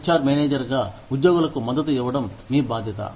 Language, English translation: Telugu, As an HR manager, it is your responsibility, to support the employees